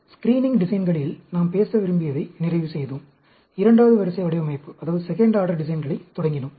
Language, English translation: Tamil, We completed what do we want to talk about in screening designs and we started on the second order designs